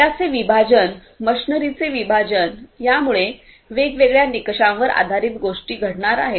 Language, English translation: Marathi, The segregation of the data, segregation of the machinery consequently based on different criteria are going to happen